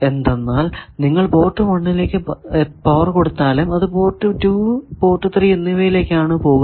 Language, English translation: Malayalam, That, even if you give power at port 1 port 2 and 3 get powered, but port 4 do not get powered